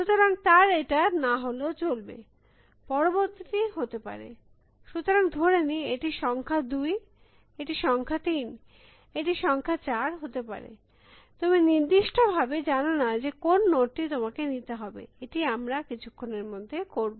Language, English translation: Bengali, So, he does not have to be this, the next one could be, so this is let us say, number 2, this is number 3, this could be number 4 you are not specified, which node to take, we will do that in a moment